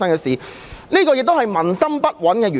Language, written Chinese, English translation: Cantonese, 主席，這亦是民心不穩的原因。, President this explains why people lack a sense of security